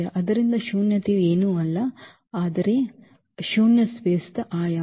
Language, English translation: Kannada, So, nullity is nothing, but its a dimension of the null space of A